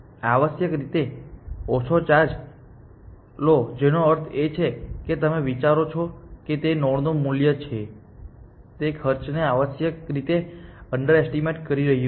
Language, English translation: Gujarati, Charge less essentially which means that you think that they are that value of that node is underestimating the cost essentially